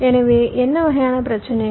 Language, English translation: Tamil, so what kind of problems